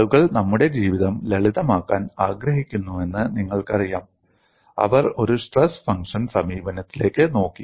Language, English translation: Malayalam, You know people wanted to make our life simple; they have looked at a stress function approach